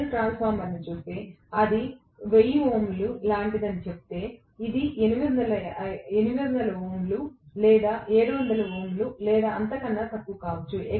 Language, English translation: Telugu, If I look at the transformer if I say it is like 1000 ohms, this may be like 800 ohms or 700 ohms or even less that is how it is going to be